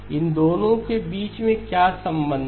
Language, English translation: Hindi, What is the relationship between these two